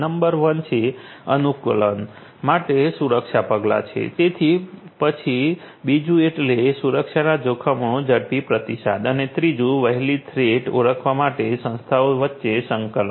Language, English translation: Gujarati, Number one is security measures for adaption rather ah; then, the quick response to the security threats and the coordination between the organizations for early threat identification